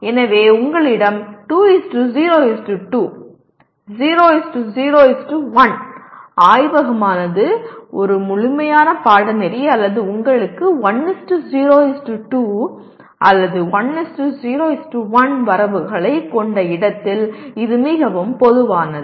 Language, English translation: Tamil, So you have 2:0:2, 0:0:1; that is quite common where laboratory is a standalone course or you have 1:0:2 or even 1:0:1 credits